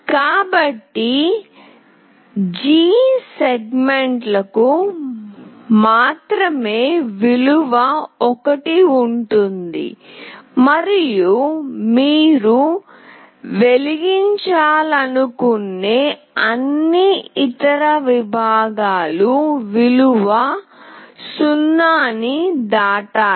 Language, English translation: Telugu, So, only the G segments will have value 1 and all other segments, you want to glow, you have to pass a value 0